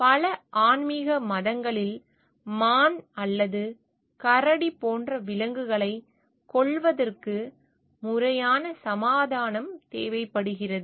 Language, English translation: Tamil, In an many animistic religions killing of animals like deer or bear requires proper appeasement